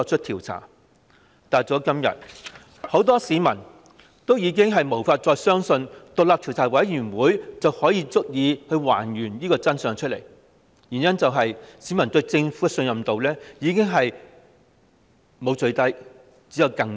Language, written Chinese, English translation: Cantonese, 但到了今天，很多市民已無法再相信成立獨立調查委員會便足以還原真相，因為市民對政府的信任程度沒有最低，只有更低。, But nowadays many people think they can no longer believe that the forming of an independent commission of inquiry can reconstruct the true picture because their trust in the Government falls continually through a succession of lowest points